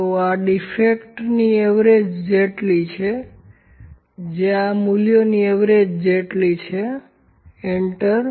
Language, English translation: Gujarati, So, this is equal to the average of the defects is equal to average of these values, enter